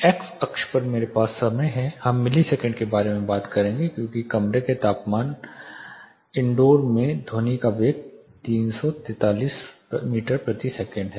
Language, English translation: Hindi, In x axis I am going to have the time we will talk about milliseconds because the velocity of sound 343 meter per second more specifically in room temperature indoor